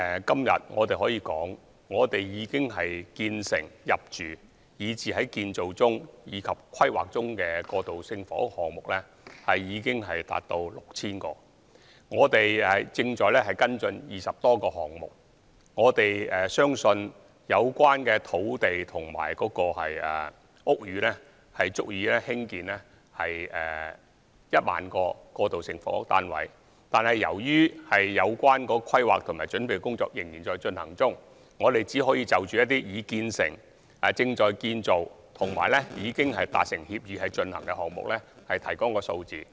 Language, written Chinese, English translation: Cantonese, 今天我可以指出，現時建成、入住、以至在建造及規劃中的過渡性房屋單位數目已達 6,000 個，而我們亦正在跟進20多個項目，相信有關土地和屋宇足以興建1萬個過渡性房屋單位，但由於有關的規劃及準備工作仍在進行中，因此我們現時只能夠就一些已建成、正在建造及已達成協議推行的項目提供數字。, I can point out today that as of now 6 000 transitional housing flats are either completed occupied under construction or under planning . We are currently following up more than 20 projects and we believe the land and buildings involved are sufficient for the construction of 10 000 transitional housing flats . However as planning and preparatory work are still in progress we can only provide figures of projects that are completed under construction or have reached an agreement